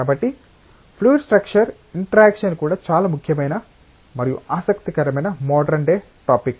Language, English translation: Telugu, So, fluid structure interaction is also a very important and interesting modern day topic